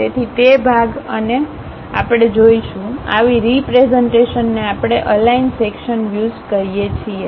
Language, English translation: Gujarati, So, that part and that part we will see; such kind of representation we call aligned section views